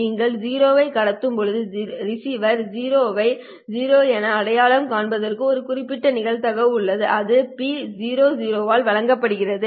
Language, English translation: Tamil, When you transmit 0 there is a certain probability that the receiver will identify the 0 as 0